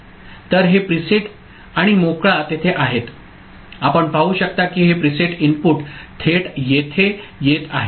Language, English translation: Marathi, So, this preset and clear are there you can see this preset input is going directly over here ok